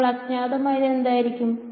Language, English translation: Malayalam, So, what would be the unknowns